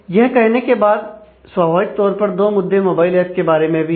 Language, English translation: Hindi, So, having said that, naturally there are there are 2 aspects of mobile apps as well